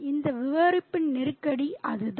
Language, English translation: Tamil, That is the crisis of this narrative